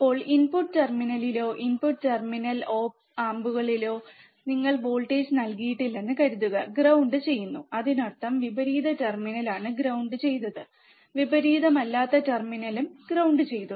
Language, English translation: Malayalam, Now, assume that you have given no voltage at input terminal, or input terminal op amps are are grounded; that means, is inverting terminal is ground non inverting terminal is ground